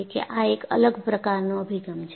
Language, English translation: Gujarati, So, this is a different approach